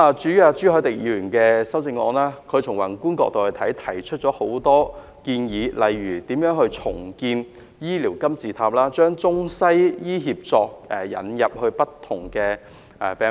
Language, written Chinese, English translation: Cantonese, 至於朱凱廸議員的修正案，從宏觀的角度提出了多項建議，例如如何重構"醫療金字塔"及將中西醫協作引入不同病科等。, In Mr CHU Hoi - dicks amendment a number of proposals have been put forward from a broader perspective such as how to reconstruct the healthcare pyramid and introduce integrated Chinese - Western medicine in different medical disciplines